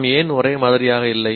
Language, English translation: Tamil, Why are we not the same